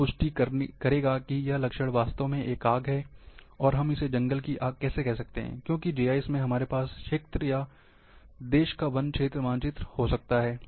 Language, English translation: Hindi, That will confirm that this signature is really a fire, and how we can call as a forest fire, because in, in GIS platform we can have a forest cover map of the country or area